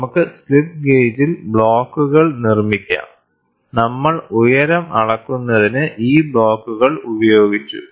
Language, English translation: Malayalam, So, we could make blocks on slip gauge, and these blocks for measuring height we used